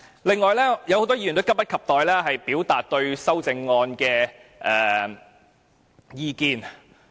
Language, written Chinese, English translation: Cantonese, 此外，很多議員也急不及待表達對修正案的意見。, Moreover many Members have been keen to express their views on the Committee stage amendments CSAs